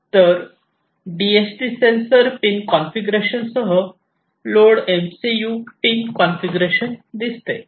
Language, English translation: Marathi, So, Node MCU pin configuration with the DHT sensor pin configuration right